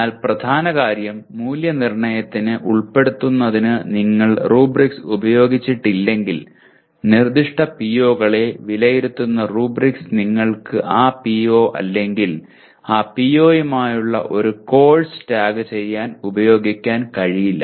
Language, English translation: Malayalam, But the main thing is unless you have used rubrics to evaluate or include rubrics that evaluates specific POs you cannot tag a course with that PO or the project with that PO